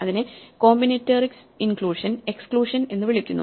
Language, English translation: Malayalam, This is something which is called in combinatorics inclusion and exclusion